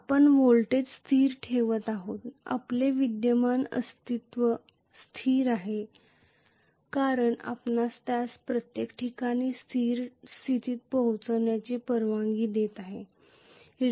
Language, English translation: Marathi, You are keeping the voltage constant your current remains as a constant because you are allowing it to reach steady state at every point